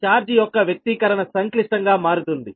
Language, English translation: Telugu, expression of charge will become complex, right